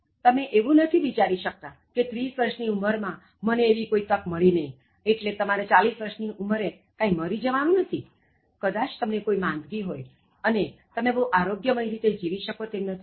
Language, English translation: Gujarati, So, you cannot think that at the age of 30 I didn’t get a good break, so you should not die at the age of 40, because you developed some kind of sickness and you are not able to sustain in a very healthy manner